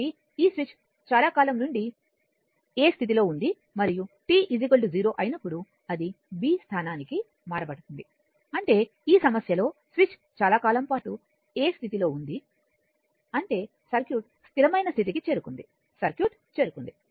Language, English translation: Telugu, So, this switch has been in the position a for a long time and at t equal to 0, it is thrown to position b; that means, in this problem switch was at position a for long time; that means, circuit has reached steady state right circuit has reached